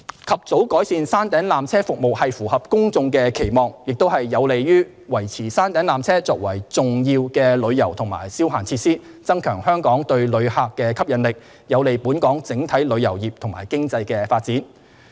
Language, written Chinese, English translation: Cantonese, 及早改善山頂纜車服務符合公眾的期望，亦有利於維持山頂纜車作為重要的旅遊及消閒設施；增強香港對旅客的吸引力，有利本港整體旅遊業及經濟的發展。, An early improvement of the peak tramway service is in line with public expectations and conducive to maintaining the peak tramway as an important tourism and recreational facility . The resulting enhancement of Hong Kongs attractiveness to tourists helps promote the overall development of our tourism and economy